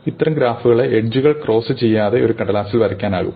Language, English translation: Malayalam, It can be drawn on a flat piece of paper without any edges crossing